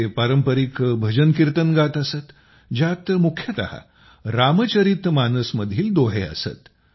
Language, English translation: Marathi, They used to sing traditional bhajankirtans, mainly couplets from the Ramcharitmanas